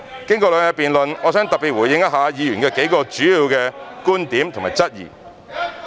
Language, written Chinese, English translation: Cantonese, 經過兩日的辯論，我想特別回應一下議員數個主要的觀點和質疑。, After two days of debate I wish to respond in particular to several major viewpoints and queries raised by Members